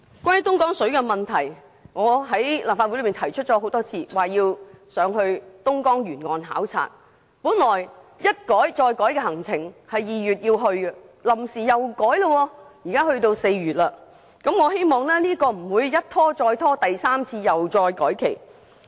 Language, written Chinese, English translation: Cantonese, 關於東江水的問題，我已曾在立法會內多次提出要前往東江沿岸考察，但行程一改再改，本來訂於2月起程，臨時卻要延遲至4月，但願行程不會一拖再拖，第三次改期。, Regarding Dongjiang River water I have repeatedly put forward requests for an inspection visit along Dongjiang River . But the visit has been deferred over and over again . It was originally scheduled in February but it has suddenly been postponed to April